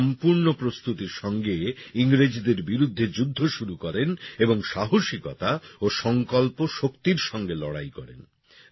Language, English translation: Bengali, She started the war against the British with full preparation and fought with great courage and determination